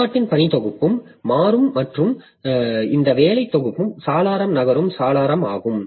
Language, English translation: Tamil, So, the working set of the process will also change and this working set window is a moving window